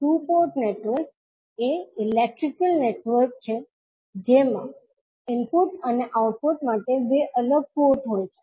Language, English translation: Gujarati, Two port network is an electrical network with two separate ports for input and output